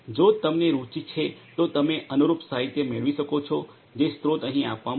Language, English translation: Gujarati, And if you are interested you can go through the corresponding literature the source is given over here